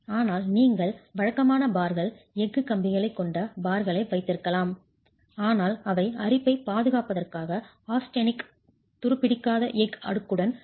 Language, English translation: Tamil, But you could also have bars which are regular bars, the steel bars, but they are coated with a layer of austenetic stainless steel to provide corrosion protection